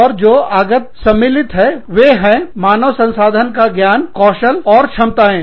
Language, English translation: Hindi, And, the input involves, the HR knowledge, skills, and abilities